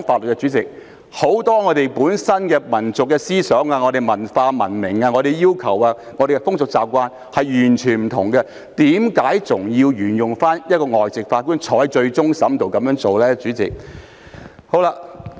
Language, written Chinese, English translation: Cantonese, 我們很多民族思想、文化、文明、要求和風俗習慣等，跟外國完全不同，為何還要沿用讓一名外籍法官參加終審庭審判的做法呢？, Our national ideas culture civilization requirements rituals and customs and the like are completely different from those of foreign countries . Why should we continue to follow the practice of allowing a foreign judge to sit on CFA?